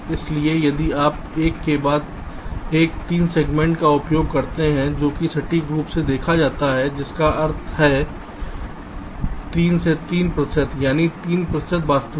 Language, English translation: Hindi, ok, so if you use three segments, one followed by another, followed by other, that is seen to be accurate enough, which is means three accurate to three percent, that is, three percent of the actual